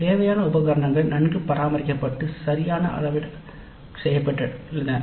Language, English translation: Tamil, The required equipment was well maintained and calibrated properly